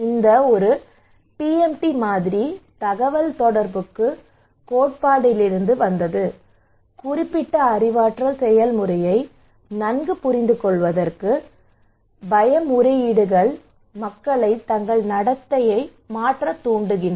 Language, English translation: Tamil, This one the PMT model, that came from the communications theory to better understand the specific cognitive process underlying how fear appeals motivate people to change their behaviour